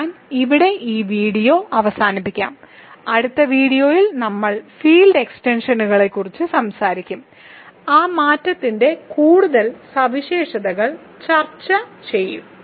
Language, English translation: Malayalam, So, let me stop the video here and the next video we are going to talk about degree of field extensions and do further properties of that invariant